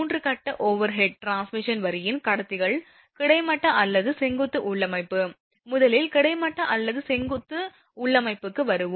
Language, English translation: Tamil, The conductors of 3 phase overhead transmission line it either horizontal or vertical configuration, first come to horizontal or vertical configuration